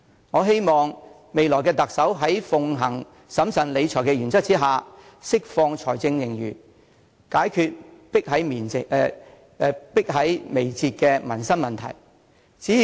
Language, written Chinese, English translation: Cantonese, 我希望未來的特首在奉行審慎理財的原則之下，能釋放財政盈餘，解決迫在眉睫的民生問題。, I hope that while the next Chief Executive adheres to the principle of prudent fiscal management he or she can at the same time release part of the fiscal reserves for the purpose of tackling certain urgent livelihood problems